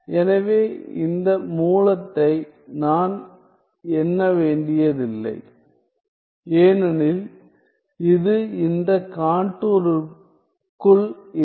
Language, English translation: Tamil, So, I do not have to count i do not have to count this root at all because it is not inside this contour